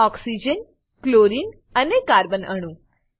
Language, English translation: Gujarati, Oxygen, chlorine and the carbon atom